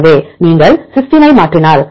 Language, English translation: Tamil, So, if you mutate the cysteine